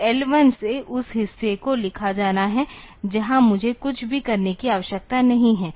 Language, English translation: Hindi, So, done now that L 1 onwards that portion has to be written where I do not need to do anything